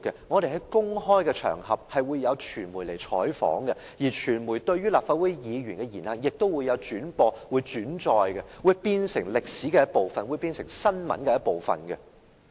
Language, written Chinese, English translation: Cantonese, 我們出席公開場合時會有傳媒採訪，傳媒亦會轉播和轉載立法會議員的言行，這會變成歷史的一部分和新聞的一部分。, The public functions we attend will attract media coverage there will be telecasts and news reports of the words and deeds of Legislative Council Members in the media and these will then become a part of our history and the news